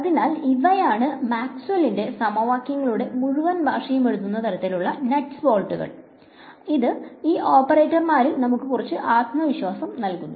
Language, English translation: Malayalam, So, these are the sort of nuts and bolts in which the whole language of Maxwell’s equations will be written so, this is to give us some confidence on these operators